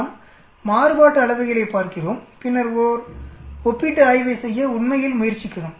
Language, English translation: Tamil, We are looking at the variances and then trying to make a comparative study actually